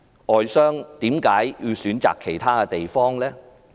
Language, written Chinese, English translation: Cantonese, 外商為何選擇其他地方？, Why do foreign businessmen choose to do business in other places?